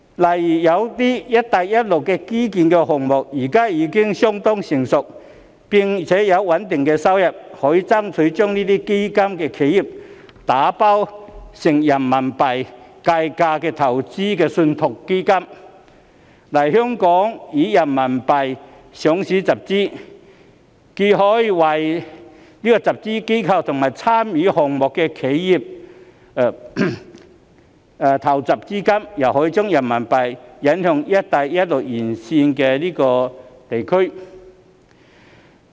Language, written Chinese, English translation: Cantonese, 例如有些"一帶一路"的基建項目現在已經相當成熟並有穩定收入，可以爭取將這些基建打包成人民幣計價的投資信託基金，來港以人民幣上市集資，既可為集資機構及參與項目的企業籌措資金，又可將人民幣引向"一帶一路"沿線地區。, For instance some of the infrastructure projects under the Belt and Road Initiative are already rather mature at present and can generate a stable income . We may seek to package these infrastructure projects into RMB - denominated investment trust funds for Hong Kong listing in order to raise funds in RMB . This can allow the fundraising institutions and enterprises participating in the projects to raise fund while introducing RMB to regions along the Belt and Road as well